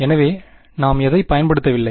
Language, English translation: Tamil, So, what have we not used